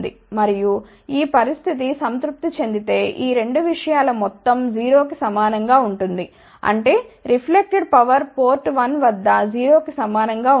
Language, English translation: Telugu, And, if this condition is satisfied the sum of these 2 thing will be equal to 0; that means, reflected power will be equal to 0 at port 1